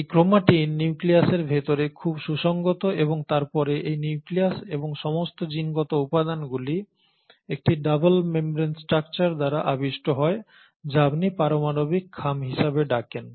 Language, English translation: Bengali, And this chromatin is very well organised inside the nucleus and the nucleus and the entire genetic material then gets surrounded by a membrane double membrane structure which is what you call as the nuclear envelope